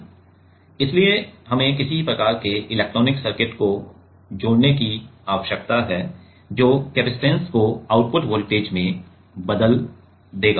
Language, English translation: Hindi, So, we need to connect some kind of electronic circuit, which will convert the capacitance to output voltage